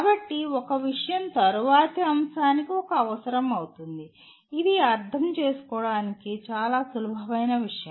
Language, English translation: Telugu, So one topic becomes a prerequisite to the next one which is a fairly simple thing to understand